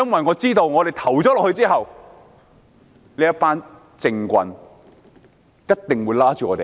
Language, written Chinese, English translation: Cantonese, 我知道在表決後，這群政棍一定又會追罵我們。, I am sure that those shyster politicians cannot wait to criticize us after the vote